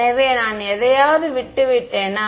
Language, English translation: Tamil, So, did I leave out anything